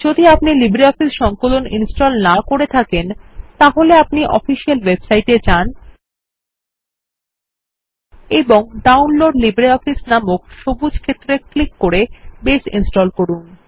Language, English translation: Bengali, If you have not installed LibreOffice Suite, you can install Base by visiting the official website and clicking on the green area that says Download LibreOffice